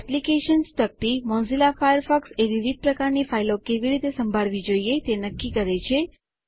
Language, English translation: Gujarati, The Applications panel lets you decide how Mozilla Firefox should handle different types of files